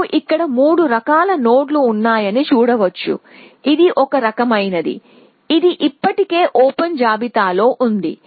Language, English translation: Telugu, Now you can see that there are three kinds of nodes here one is one kind which is on the open list already